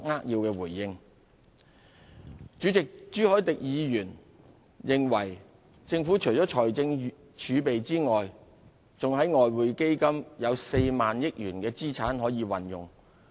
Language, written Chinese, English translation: Cantonese, 代理主席，朱凱廸議員認為政府除了財政儲備外，在外匯基金有 40,000 億元的資產可以運用。, Deputy Chairman Mr CHU Hoi - dick thinks that in addition to the fiscal reserves the Government can use 4,000 billion worth of assets in the Exchange Fund